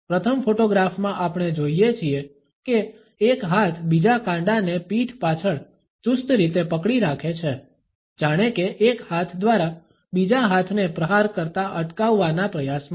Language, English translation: Gujarati, In the first photograph we see that one hand has gripped the other wrist tightly behind the back as if in an attempt by one arm to prevent the other from striking out